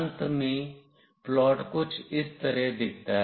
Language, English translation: Hindi, Finally, the plot looks somewhat like this